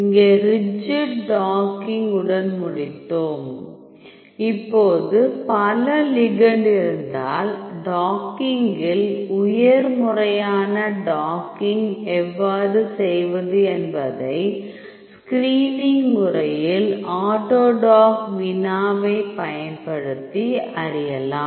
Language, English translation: Tamil, So, here we finished with the rigid docking, now if you have multiple ligands, then how to do the docking high proper docking using screening using the autodock vina